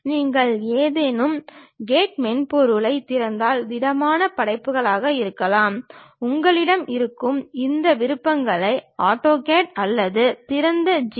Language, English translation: Tamil, If you open any CAD software may be solid works, AutoCAD these options you will be have or Open GL